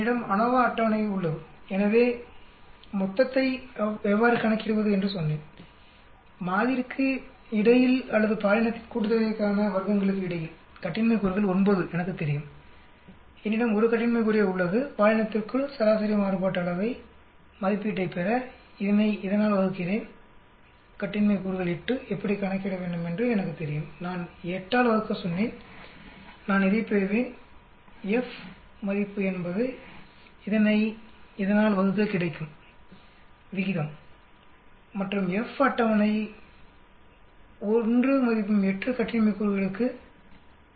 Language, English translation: Tamil, I have the ANOVA table so total I told you how to calculate the degrees of freedom is 9 for between sample or between gender sum of squares I know I have only 1 degree of freedom I divide this term by this term to get mean variance estimate within gender, the degrees of freedom is 8 I know how to calculate I told you divide by 8 I will get this F value is ratio of this by this and F table is given by 5